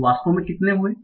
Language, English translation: Hindi, So how many actually occurred